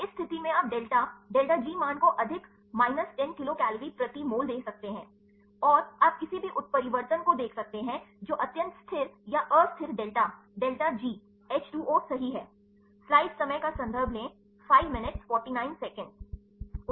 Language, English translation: Hindi, In this case you can give the delta delta G values as more than minus 10 kilo cal per mole and, you can see the any mutations which are extremely stable or unstable see delta delta G H 2 O right